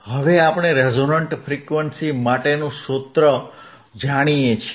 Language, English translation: Gujarati, Now, we know the formula for resonant frequency, we know the formula for resonant frequency